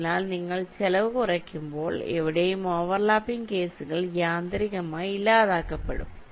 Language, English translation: Malayalam, so anywhere when you are minimizing the cost, the overlapping cases will get eliminated automatically